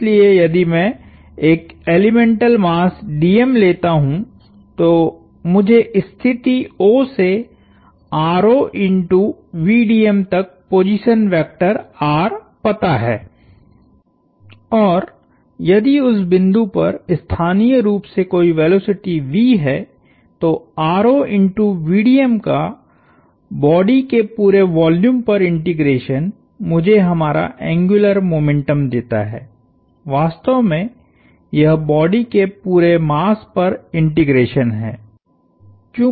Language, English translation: Hindi, So, if I take an elemental mass d m, I know the position vector r from the position O to d m r times v d m and if that point locally has some velocity v, the r times v d m integrated over the whole volume of the body gives me our, really, this is integration over the whole mass of the body